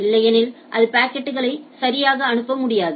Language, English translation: Tamil, Otherwise it will not be able to forward packets right